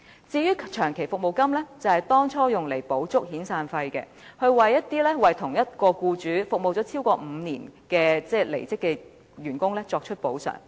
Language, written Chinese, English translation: Cantonese, 至於長期服務金，當初是用來填補遣散費的不足，為一些為同一名僱主服務超過5年的離職員工作出補償。, As regards long service payment it is intended to supplement severance payment and is paid as compensation to an employee who has served his employer for more than five years